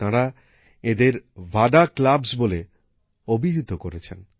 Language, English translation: Bengali, They call these VADA clubs